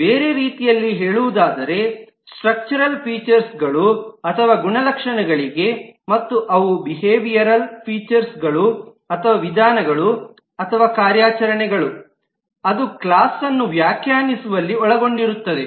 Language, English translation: Kannada, In other terms, there are structural features or attributes, and they are behavioral features or methods or operations that will be involved in defining a class